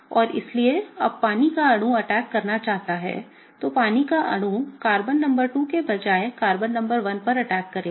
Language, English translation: Hindi, And so, when the water molecule wants to attack, water molecule will attack Carbon number 1 instead of Carbon number 2, okay